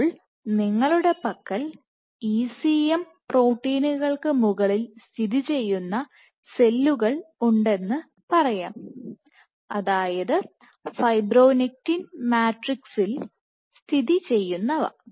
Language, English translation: Malayalam, Now, let us say you have these cells sitting on ECM proteins that says sitting on fibronectin matrix